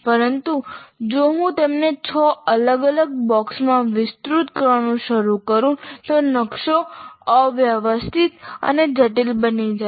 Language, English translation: Gujarati, But if I start expanding like six different boxes, the map becomes a little more messy and complex